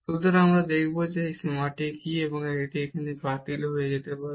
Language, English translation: Bengali, So, we will see that what is this limit here, and this can get cancelled